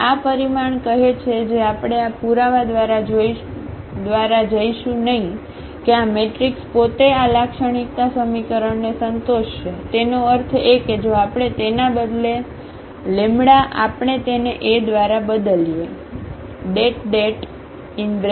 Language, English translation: Gujarati, And, this result says which we will not go through the proof that this u this matrix itself will satisfy this characteristic equation; that means, if instead of the lambda if we replace this by A